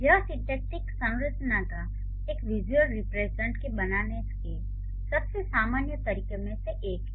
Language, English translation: Hindi, This is one of the most common ways to create a visual representation of syntactic structure